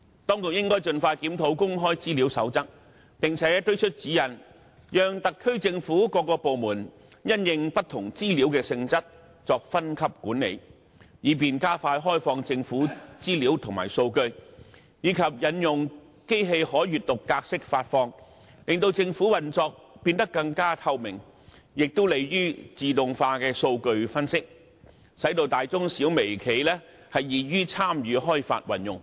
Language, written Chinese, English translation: Cantonese, 當局應該盡快檢討《公開資料守則》，並且推出指引，讓特區政府各個部門因應不同資料的性質，作分級管理，以便加快開放政府資料和數據，以及引用機器可閱讀格式發放，令政府運作變得更透明，亦有利於自動化的數據分析，使大中小微企易於參與開發運用。, The authorities should expeditiously review the Code on Access to Information and issue guidelines to allow hierarchical management by various departments of the SAR Government according to the nature of different information for faster opening of government information and data and introduce machine - readable formats into data publication to enhance transparency of the operation of the Government which is conducive to automatic data analysis thereby facilitating the participation of micro small medium and large enterprises in RD and application